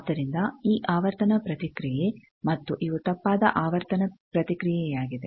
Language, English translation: Kannada, So, these frequency response and these is an erroneous frequency response